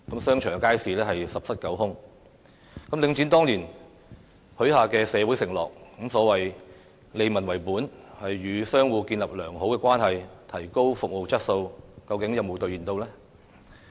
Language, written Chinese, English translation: Cantonese, 商場和街市十室九空，領展當年許下的社會承諾，包括所謂利民為本，與商戶建立良好關係，提高服務質素，究竟有否兌現？, Has Link REIT honoured its promises made to society back then such as operating to benefit the people building a good relationship with shop tenants and upgrading the quality of services?